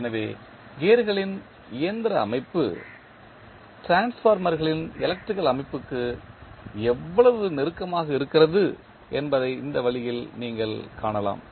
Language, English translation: Tamil, So, in this way you can see that how closely the mechanical system of gears is analogous to the electrical system of the transformers